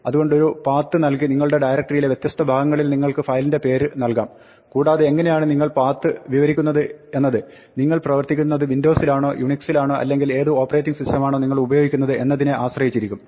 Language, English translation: Malayalam, So, you can give a file name which belongs to the different part of your directory hierarchy by giving a path and how you describe the path will depend on whether you are working on Windows or Unix, what operating system you are using